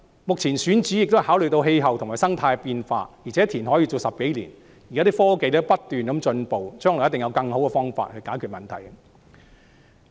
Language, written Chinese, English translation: Cantonese, 目前，選址也考慮到氣候和生態的變化，而且填海工程要做10多年，科技不斷進步，將來一定有更好的方法解決問題。, The selected site has taken into consideration climatic and ecological changes . Moreover as reclamation works take more than 10 years with the continuous advancement of technology there must be better ways to solve the problems in the future